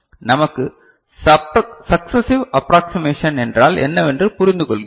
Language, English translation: Tamil, We understand, what is successive approximation is not it